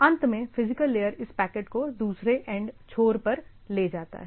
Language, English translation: Hindi, Finally, carried over the physical layer to the other end